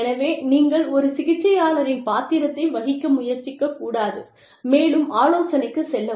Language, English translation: Tamil, So, you should not, try to play the role of a therapist, and go into counselling